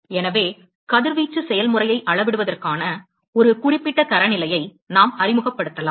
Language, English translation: Tamil, And therefore, we can introduce a, certain standard for quantifying the radiation process